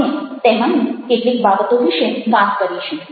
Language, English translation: Gujarati, we will talk about some of them